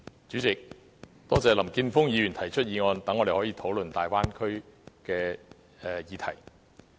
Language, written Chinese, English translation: Cantonese, 主席，多謝林健鋒議員提出議案，讓我們可以討論粵港澳大灣區的議題。, President I thank Mr Jeffrey LAM for proposing this motion so that we can discuss the Guangdong - Hong Kong - Macao Bay Area